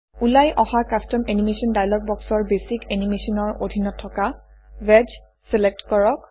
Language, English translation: Assamese, In the Custom Animation dialog box that appears, under Basic Animation, select Wedge